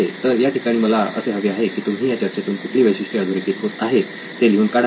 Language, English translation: Marathi, So at this point I would like you to write down what are features that are coming out of this